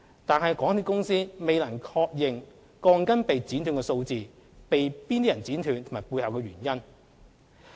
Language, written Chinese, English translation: Cantonese, 但是，港鐵公司未能確認鋼筋被剪短的數目、被何人剪短及其背後的原因。, Nevertheless MTRCL has not ascertained how many steel bars have been cut short; by whom and the reasons for that